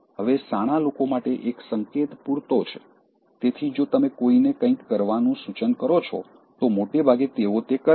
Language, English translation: Gujarati, Now, a hint for the wise is enough, so, even if you suggest somebody to do something, most of the times they do it